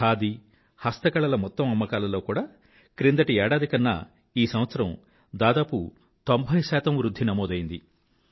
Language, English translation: Telugu, Compared to last year, the total sales of Khadi & Handicrafts have risen almost by 90%